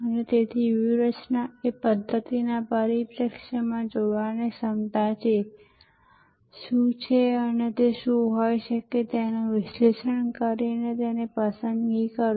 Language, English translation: Gujarati, And strategy therefore, is seeing from a systems perspective, the ability to see what is and what could be by analyzing what if's and then make choices